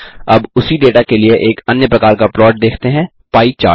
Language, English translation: Hindi, Now let us see another kind of plot, the pie chart, for the same data